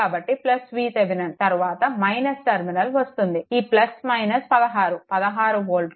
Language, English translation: Telugu, So, plus V Thevenin encountering minus terminal plus minus 16 16 volt it is